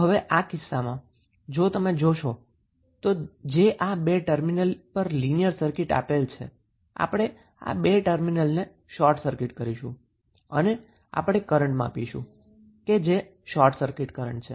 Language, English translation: Gujarati, So, now if you see in this case if this is a two terminal linear circuit we have to short circuit these two terminals and we have to measure the current that is short circuit current